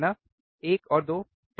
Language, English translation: Hindi, 1 and 2 right